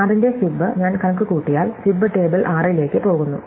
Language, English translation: Malayalam, So, fib of 6, if I compute it’ll go in to fib table 6